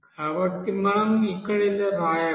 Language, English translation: Telugu, So we can write this